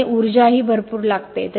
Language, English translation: Marathi, So lot of energy is also required